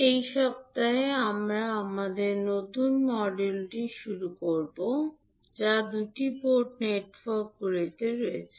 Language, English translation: Bengali, So, in this week we will start our new module that is on two port network